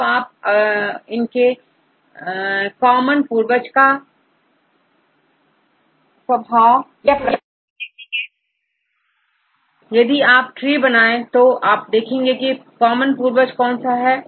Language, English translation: Hindi, Then you can see the nature of common ancestors, alright if you make a tree you can see which will be the common ancestor